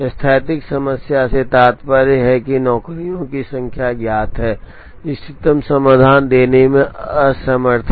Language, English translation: Hindi, Static problem implies number of jobs are known, the inability to give the optimum solution